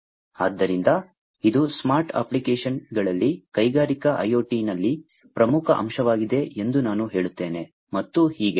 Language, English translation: Kannada, So, sensing is I would say that it is the most important element in industrial IoT in smart applications, and so on